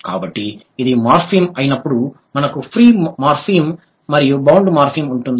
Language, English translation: Telugu, So, when it is a morphem, we have free morphem and bound morphem